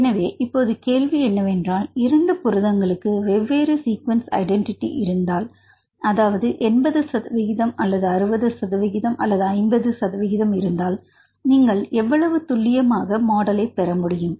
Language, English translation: Tamil, So, now the question is if 2 proteins have different sequence identity for example, 80 percent or 60 percent or 50 percent how accurate you can obtain the model